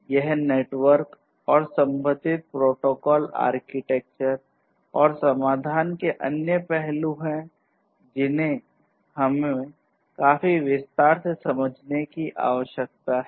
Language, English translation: Hindi, So, this is this network and the corresponding protocols, architecture, and other aspects of solutions that we need to understand in considerable detail